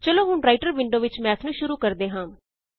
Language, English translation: Punjabi, Now, in the Writer window, let us call Math